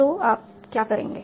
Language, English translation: Hindi, So, so what do you see here